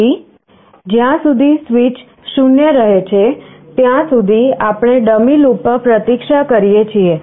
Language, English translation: Gujarati, So, as long as switch remains 0, we wait in a dummy loop